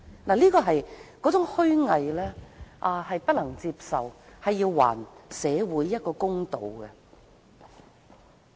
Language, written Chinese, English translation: Cantonese, 那種虛偽不能接受，請還社會一個公道。, Her hypocrisy was unacceptable . Please do justice to the community